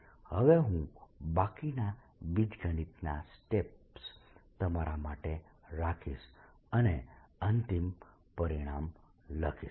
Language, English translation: Gujarati, i'll now leave the rest of the steps for you, rest of the steps of algebra, and write the final result